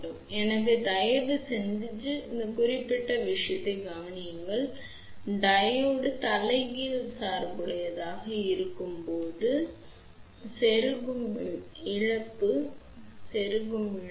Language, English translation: Tamil, So, please notice this particular thing that, now insertion loss is when Diode is reverse bias